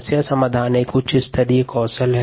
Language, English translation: Hindi, problem solving is a higher level skill